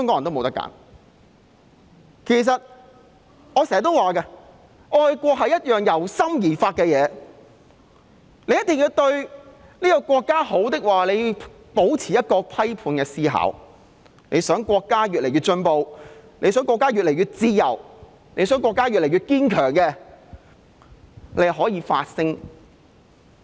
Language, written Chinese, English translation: Cantonese, 我經常也說，愛國是一件由心而發的事情，想國家好，便要保持批判思考；想國家越來越進步，想國家越來越自由，想國家越來越堅強，便要發聲。, As I have always said patriotism should come from peoples hearts . We have to maintain critical thinking if we want the country to improve . We have to voice out if we want the country to progress and to become freer and stronger